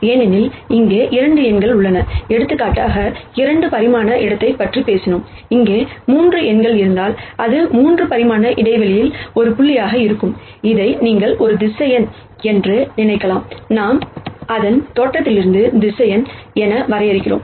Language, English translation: Tamil, Since, there are 2 numbers here we talked about 2 dimensional space if for example, there are 3 numbers here, then it would be a point in a 3 dimensional space, you could also think of this as a vector and we de ne the vector from the origin